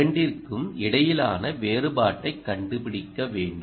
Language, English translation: Tamil, you just want to find out the difference between the two and this